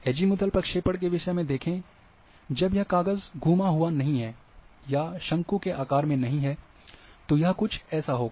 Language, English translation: Hindi, See in case of Azimuth projections, when sheet is not rolled or has taken the shape of the cone, this is what happens